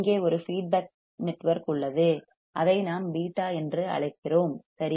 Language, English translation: Tamil, There is a feedback network here which we call beta right